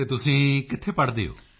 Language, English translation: Punjabi, And where do you study